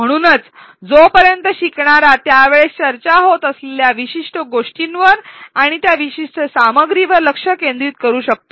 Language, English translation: Marathi, So, long as learners attention is focused on the particular chunk and that particular content which is being discussed at that time